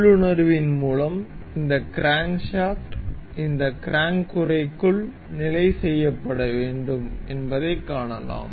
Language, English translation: Tamil, And by intuition, we can see that this crankshaft is supposed to be fixed into this crank uh casing